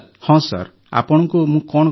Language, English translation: Odia, Yes sir what to say now